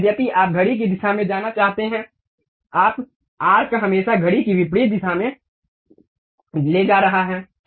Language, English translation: Hindi, Though you would like to go in the clockwise, but your arc always be taking in the counterclockwise direction